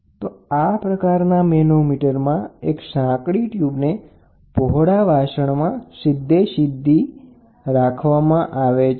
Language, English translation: Gujarati, So, in this type of manometer, a narrow tube is inserted directly into the wider limb